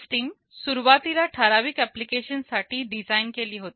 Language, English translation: Marathi, The system was initially designed for certain application